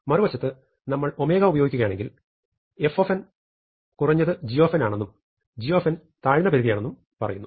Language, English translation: Malayalam, On the other hand, if we use omega we are saying that f of n is at least g of n, g of n is a lower bound for f of n